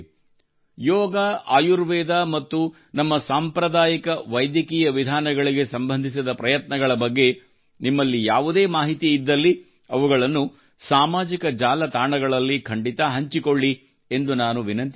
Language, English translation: Kannada, I also urge you that if you have any information about such efforts related to Yoga, Ayurveda and our traditional treatment methods, then do share them on social media